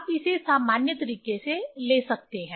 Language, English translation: Hindi, You can take this in general way